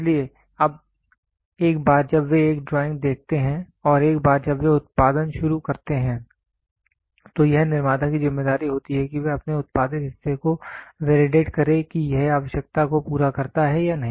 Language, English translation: Hindi, So, now once they see a drawing and once they start producing then it is a responsibility of the manufacturer to validate his produced part whether it meets to the requirement or not